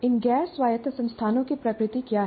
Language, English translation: Hindi, Now, what is the nature of this non autonomous institution